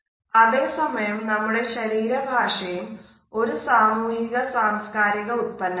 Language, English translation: Malayalam, At the same time our body language is also a product of our society and culture